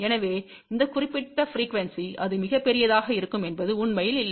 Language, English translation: Tamil, So, it is not really that at that particular frequency , it will be very very large